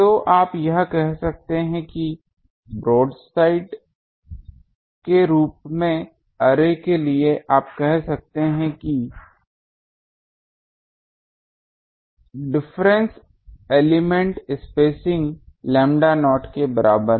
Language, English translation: Hindi, So, you can make that for broadside arrays you can say that inter elements spacing is equal to lambda not